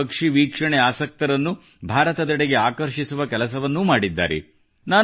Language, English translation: Kannada, This has also attracted bird watchers of the world towards India